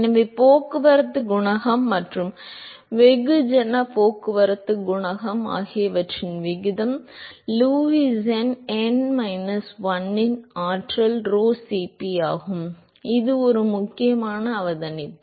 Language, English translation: Tamil, So, ratio of heat transport coefficient and mass transport coefficient is Lewis number to the power of n minus 1 by rho Cp that is an important observation